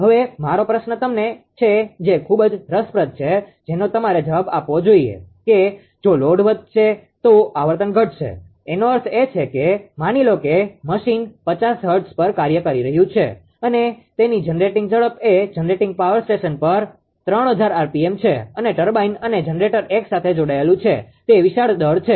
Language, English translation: Gujarati, Now, question is my question is to you it is very interesting question you should answer that if load increases right, then frequency will fall; that means, suppose suppose, machine was operating at your 50 hertz say its speed is a generator speed is 3000 rpm at the your power station generating power station and turbine generator is coupled together, it is a huge mass, right